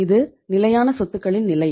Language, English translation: Tamil, This is the fixed assets